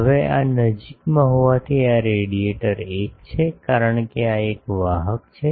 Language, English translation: Gujarati, Now, since this is nearby this radiator 1, because this is a conductor